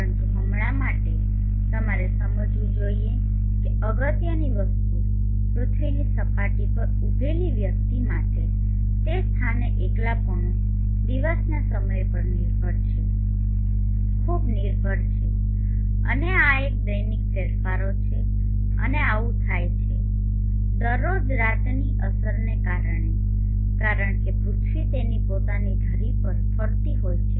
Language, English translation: Gujarati, But for now important thing that you should understand is for a person standing on the surface of the earth, at that locality the insulation is dependent on any dependent on the time of the day and this is the diurnal changes and this happens every day because of the day night effect because the earth is rotating on its own axis